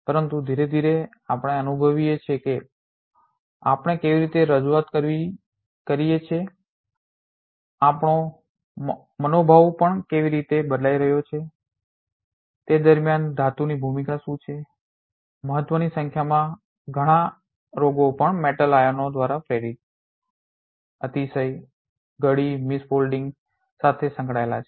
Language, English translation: Gujarati, But slowly we are realizing how we perform, how even our mood swing, what is the role of metal in that of course, a number of diseases more importantly are also associated with the presence, excess, folding, miss folding induced by the metal ions all these things we will be learning in the subsequent classes